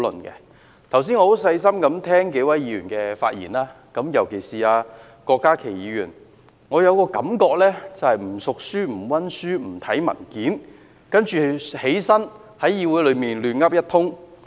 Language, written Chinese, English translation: Cantonese, 剛才我細心聆聽數位議員的發言，尤其是郭家麒議員，令我有一種感覺，就是不熟書、不溫書、不看文件，然後站在議會內"亂噏一通"。, Earlier on I was listening carefully to the speeches of a few Members particularly Dr KWOK Ka - ki . I have a feeling that he is not familiar with the issue has not studied the issue or read the papers but then he was there standing in the Council talking nonsense